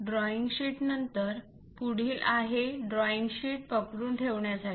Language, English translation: Marathi, After the drawing sheet, the next one is to hold that is drawing sheet